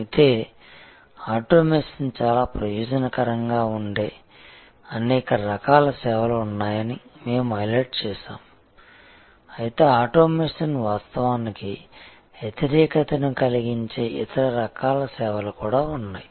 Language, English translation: Telugu, But, we had highlighted however, that there are number of different services, where automation can be quite beneficial, but there are number of other types of services, where automation may actually be counterproductive